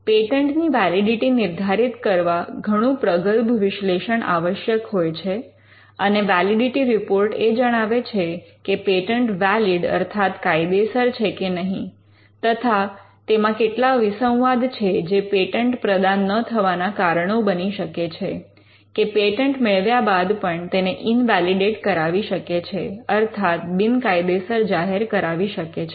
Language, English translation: Gujarati, The validity of a patent requires a much more in depth analysis, and the validity report will actually give make a statement on whether the patent is valid, what are the conflicting reasons, or the give that give out the reasons why the patent should not be granted, or why it can be invalidated, in case of a granted patent